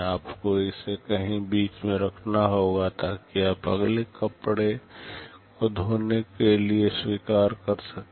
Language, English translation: Hindi, You must keep it somewhere in between, so that you can accept the next cloth for washing